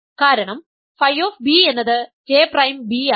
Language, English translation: Malayalam, So, this J is in A, J prime is in B